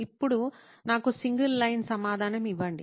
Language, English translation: Telugu, Now give me a single line answer